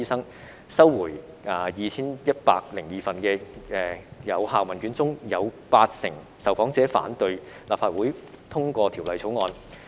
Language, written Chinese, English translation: Cantonese, 在收回的 2,102 份有效問卷中，有八成受訪者反對立法會通過《條例草案》。, Out of the 2 102 valid questionnaires returned 80 % of the respondents opposed the passage of the Bill by the Legislative Council